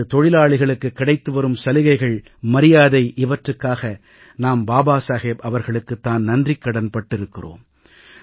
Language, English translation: Tamil, You would be aware that for the facilities and respect that workers have earned, we are grateful to Babasaheb